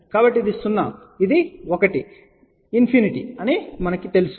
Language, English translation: Telugu, So, this is 0, you know this is 1, infinity